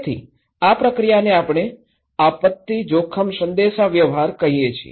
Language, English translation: Gujarati, So, this process, we called disaster risk communications